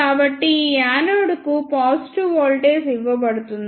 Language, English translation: Telugu, So, positive voltage is given to this anode